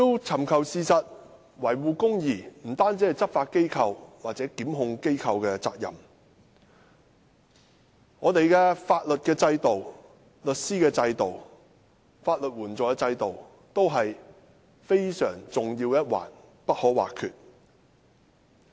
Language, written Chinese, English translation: Cantonese, 尋求事實及維護公義不單是執法或檢控機構的責任，香港的法律制度、律師制度及法律援助制度亦是非常重要的一環，不可或缺。, Finding the truth and upholding justice is the responsibility of not merely the law enforcement agencies and prosecution department the legal system lawyer system and legal aid system in Hong Kong are all playing an important and essential role